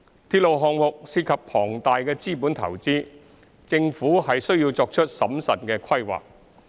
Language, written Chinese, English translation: Cantonese, 鐵路項目涉及龐大的資本投資，政府需作出審慎的規劃。, As railway projects involve huge capital investments the Government needs to make a prudent planning beforehand